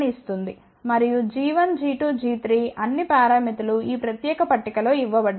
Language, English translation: Telugu, And g 1, g 2, g 3 all the parameters are given in this particular table